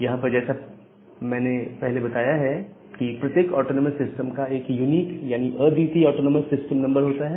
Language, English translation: Hindi, So, here as I have mentioned that every autonomous system has a unique autonomous system numbers